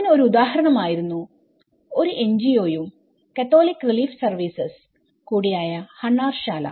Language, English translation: Malayalam, For example, Hunnarshala an NGO and Catholic Relief Services